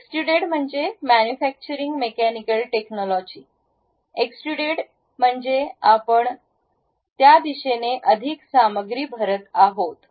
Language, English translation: Marathi, Extruded means a manufacturing mechanical technology; extrude means you are going to fill more material in that direction